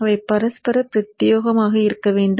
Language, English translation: Tamil, They have to be mutually exclusive